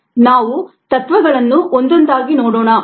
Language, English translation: Kannada, let us see the principles one by one